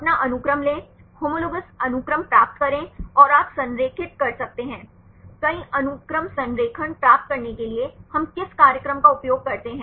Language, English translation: Hindi, Take your sequence, get the homologous sequences and you can align; what program we use to get the multiple sequence alignment